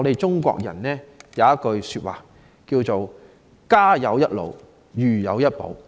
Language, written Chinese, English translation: Cantonese, 中國人有句說話：家有一老，如有一寶。, As the Chinese saying goes Elderly persons are the treasure of a family